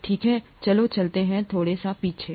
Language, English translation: Hindi, Okay let’s go back a little bit